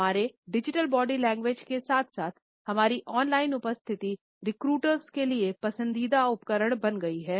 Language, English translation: Hindi, Our digital body language as well as our on line presence has become a favourite tool for recruiters